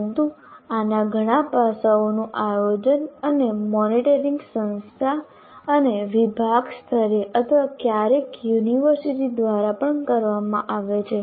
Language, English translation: Gujarati, But many aspects of this are planned and monitored at the institution and department level, or sometimes even the university